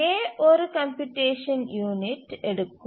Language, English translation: Tamil, So, A takes one unit of computation